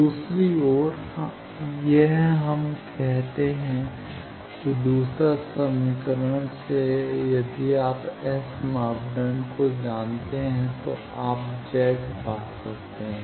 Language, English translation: Hindi, On the other hand, this we have say that the second equation that is if you know S parameter, you can find Z